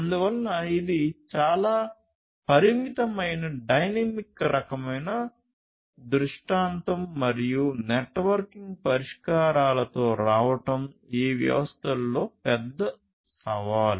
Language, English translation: Telugu, So, as you can understand it is a highly constraint dynamic kind of scenario and coming up with networking solutions is a huge challenge in these in these systems